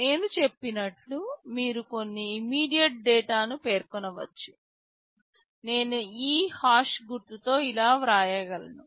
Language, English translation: Telugu, Like as I said you can specify some immediate data, I can write like this with this hash symbol